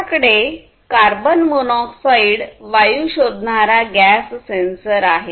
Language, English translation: Marathi, This sensor can detect carbon monoxide gas